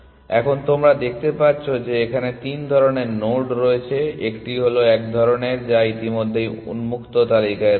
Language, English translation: Bengali, Now you can see that there are three kinds of nodes here one is one kind which is on the open list already